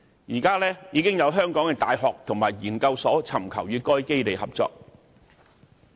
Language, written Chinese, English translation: Cantonese, 現時，已有香港的大學和研究所尋求與該基地合作。, Some Hong Kong universities and research institutes have already sought cooperation with the facility